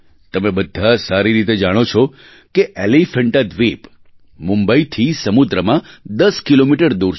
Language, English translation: Gujarati, You all know very well, that Elephanta is located 10 kms by the sea from Mumbai